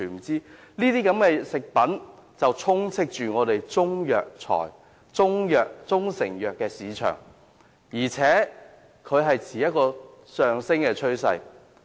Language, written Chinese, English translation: Cantonese, 這些食品充斥香港的中成藥市場，而且數量有上升趨勢。, These food products abound in the propriety Chinese medicine market and the number of these products is on the rise